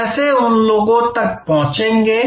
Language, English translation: Hindi, How will you reach them